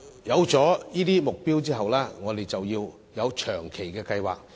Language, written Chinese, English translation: Cantonese, 定下目標後，我們要有長遠計劃。, After setting a target there must be a long - term plan